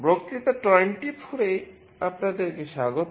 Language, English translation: Bengali, Welcome to lecture 24